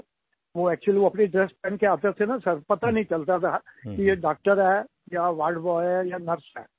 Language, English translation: Hindi, Sir, actually, when they used to enter wearing their dress, one could not make out if it was a doctor or a ward boy or nurse